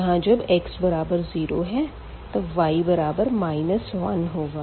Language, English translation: Hindi, So, when x is 0 the y is 2